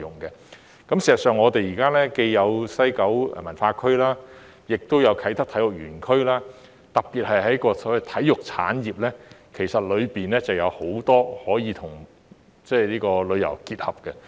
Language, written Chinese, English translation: Cantonese, 事實上，我們現在既有西九文化區，也有啟德體育園區，特別是在所謂體育產業方面，當中有很多部分其實是可以跟旅遊結合的。, In fact we now have both WKCD and the Kai Tak Multi - purpose Sports Complex . Particularly in respect of the so - called sports industry many aspects of which can actually be integrated with tourism